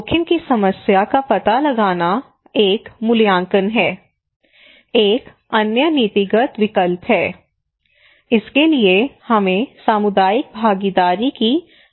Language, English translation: Hindi, So one is the assessment, finding the problem of the risk; another one is the policy options, for that we need community participation